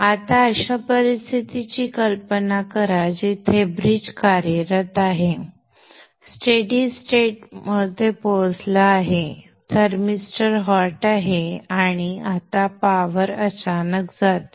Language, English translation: Marathi, Now imagine a situation where the bridge is working, it's reached a stable state, the thermister is hot, and now the power goes suddenly